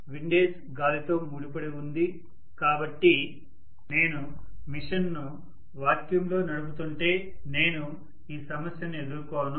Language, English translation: Telugu, Windage is associated with wind, so if I am running the machine in vacuum I will not face this problem